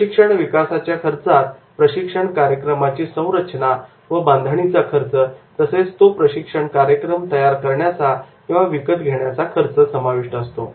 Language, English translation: Marathi, So, development costs relate to the design of the training program and that is including cost to buy or create the program